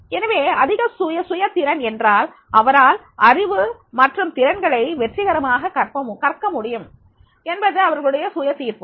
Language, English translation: Tamil, So, high self afficacy, it means that that he or she can successfully learn knowledge and skills